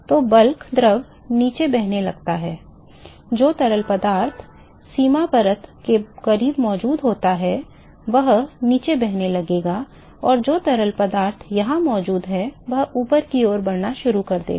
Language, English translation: Hindi, So, the bulk fluid is start flowing down, the fluid which is present close to the boundary layer will start flowing down and the fluid which is present here, will start moving up